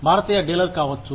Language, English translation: Telugu, Could be an, Indian dealer